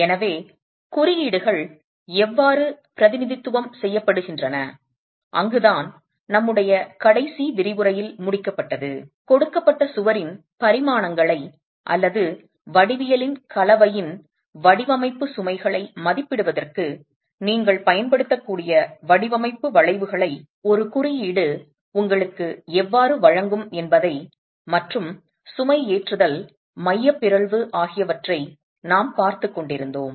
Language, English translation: Tamil, So, we were looking at how codes represent and that's where we concluded in our last lecture how a code would give you design curves that you can use for estimating the dimensions for a given wall or the design loads for a given combination of geometry and eccentricity of loading